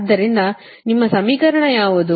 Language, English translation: Kannada, so what will be your equation